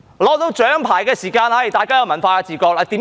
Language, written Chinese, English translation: Cantonese, 得到獎牌時，大家便有文化自覺，為甚麼？, When a medal is won everyone has cultural awareness . Why?